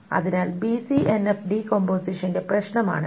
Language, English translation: Malayalam, So this is this problem with BCNF decomposition